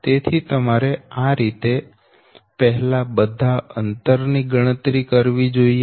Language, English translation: Gujarati, so you have to calculate first all the distances right